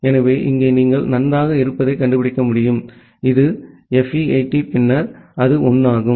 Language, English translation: Tamil, So, that you can find out that well here this it is, FE80 then it is 1